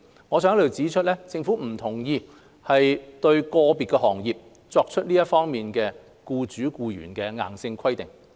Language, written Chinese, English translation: Cantonese, 我想在這裏指出，政府不同意就個別行業作出這樣的僱主僱員硬性規定。, I would like to point out here that the Government does not agree to make such a compulsory requirement for members of an individual industry to enter into an employer - employee relationship